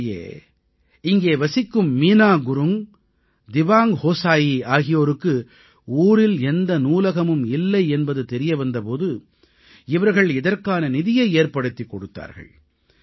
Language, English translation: Tamil, In fact, when Meena Gurung and Dewang Hosayi from this village learnt that there was no library in the area they extended a hand for its funding